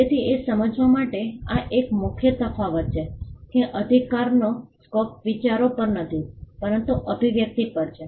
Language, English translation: Gujarati, So, this is a key distinction to understand that the scope of the right is not on the ideas, but on the expression